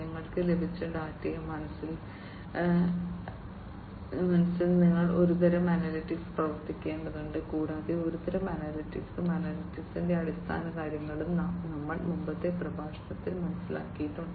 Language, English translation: Malayalam, And you need to run some kind of analytics to mind the data that is received to you need some kind of analytics, and basics of analytics also we have already understood in a previous lecture